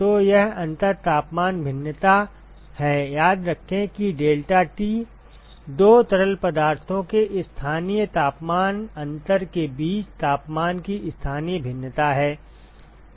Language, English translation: Hindi, So, that is the differential temperature variation, remember that deltaT is the local variation of the temperature between the two fluids local temperature difference